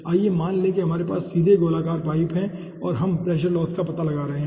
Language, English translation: Hindi, let us considered we are having straight, circular pipe and we are finding out the pressure loss